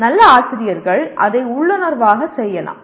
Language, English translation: Tamil, Good teachers may do it intuitively